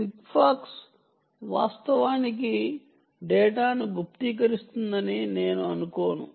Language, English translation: Telugu, ok, sigfox, i dont think, actually even encrypts data, it just transmits data